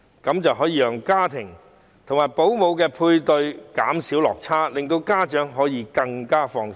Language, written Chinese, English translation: Cantonese, 這樣可以讓家庭及保姆的配對減少落差，令家長更放心。, This will narrow the gap of matching families with home - based child carers so that parents can feel more at ease